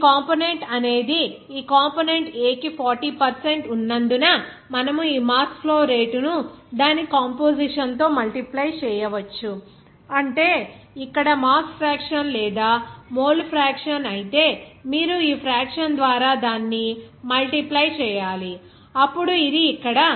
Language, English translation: Telugu, Since your component is of 40percentage for this component A, so you can just multiply this mass flow rate into its composition, that means here mass fraction or you can if it is mole fraction, you have to multiply it by this fraction, then it will come as here 0